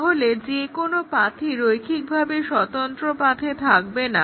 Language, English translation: Bengali, So, that is the definition of the linearly independent paths